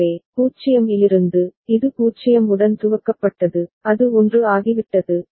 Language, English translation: Tamil, So, from 0, it was initialized with 0, it has become 1